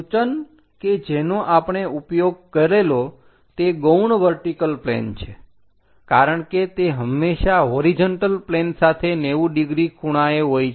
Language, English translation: Gujarati, The notation what we use is its auxiliary vertical plane because it is always be 90 degrees with the horizontal plane